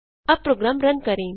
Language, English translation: Hindi, Let us Run the program now